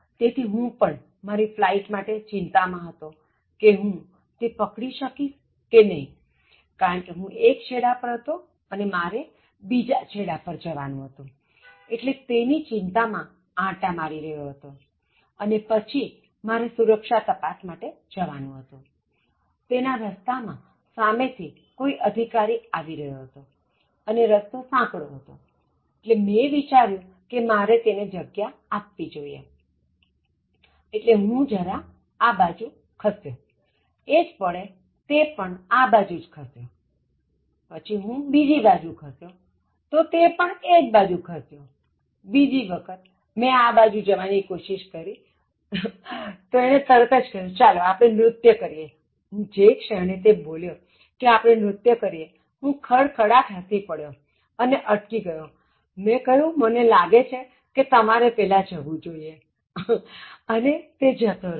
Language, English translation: Gujarati, So I was bit concerned about my flight, whether I will be able to take it because I am taking it from one end I am going to the other end, so in that seriousness, like I was just walking and then I am supposed to reach the security check, so on the path towards security check, another officer was coming and it was a narrow path, so I thought that I should give him way, so I just moved this side so, spontaneously he also moved this side, so then I moved this side, so he also moved this side, so the next time I started making a moment this side, so he immediately said, shall we dance, the moment he said shall we dance, so I just laughed and then I stopped, I said, so I think you should go first and then he went